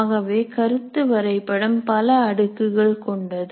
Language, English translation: Tamil, So a concept map can have several layers